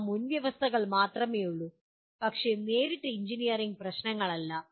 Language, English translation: Malayalam, They will only prerequisites but not directly engineering problems